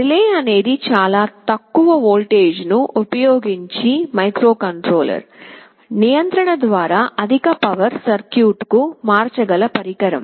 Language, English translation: Telugu, Relay is a device that can switch a higher power circuit through the control of a microcontroller using a much lower voltage